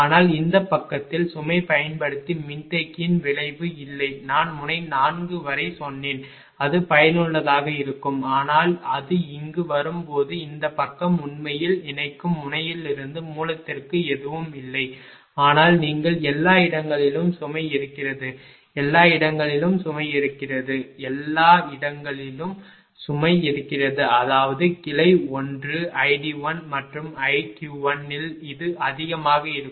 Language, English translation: Tamil, But this side there is no effect of capacitor using the load I told you up to node 4 it will be it has affected, but when it is coming here this side actually nothing it is from the connecting node to the source, but as you are moving to the source everywhere load is there, everywhere load is there, everywhere load is there; that means, your this at the branch 1 i d 1 and i q 1 will be higher